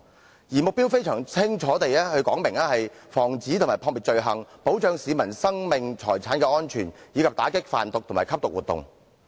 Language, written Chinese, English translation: Cantonese, 保安局的目標非常清晰，旨在防止和撲滅罪行，保障市民生命財產的安全，以及打擊販毒及吸毒活動。, The Security Bureau has very clear targets which are to prevent and fight crime safeguard life and property and combat drug trafficking and drug abuse